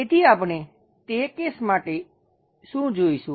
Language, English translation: Gujarati, So, what we will see for that case